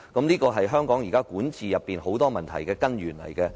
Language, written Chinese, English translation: Cantonese, 這是香港眾多管治問題的根源。, This is the root of the numerous governance problems in Hong Kong